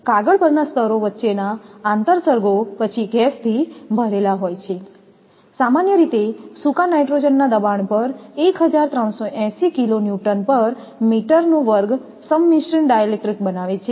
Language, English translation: Gujarati, The interstices between the layers at the paper are then filled with gas, generally dry nitrogen at a pressure up to 1380 kilo Newton per meter square forming a composite dielectric